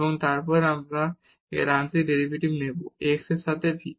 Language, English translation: Bengali, So, again this is the derivative of x with respect to t